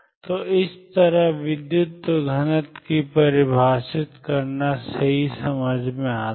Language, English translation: Hindi, So, it makes perfect sense to define current density like this